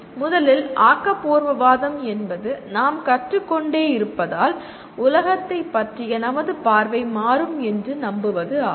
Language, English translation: Tamil, First constructivism is what it believes is as we keep learning our view of the world keeps changing